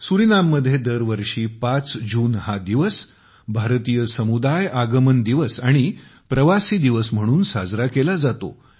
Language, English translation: Marathi, The Indian community in Suriname celebrates 5 June every year as Indian Arrival Day and Pravasi Din